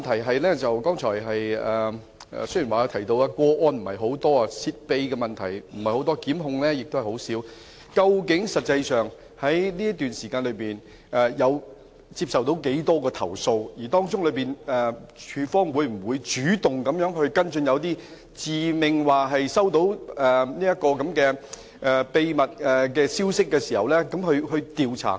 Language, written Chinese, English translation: Cantonese, 我的補充質詢是，雖然司長剛才提及泄秘個案不是太多，檢控個案也很少，但究竟實際上這段時間接獲多少宗投訴，署方會否主動就一些自命接獲秘密消息的個案進行調查？, According to the Chief Secretary for Administration there have not been many cases of confidential information leakage and only a few cases of prosecution . My supplementary question is what is the actual number of complaints received during the period? . Will ICAC initiate investigation into a case involving someone who claims to have received confidential information?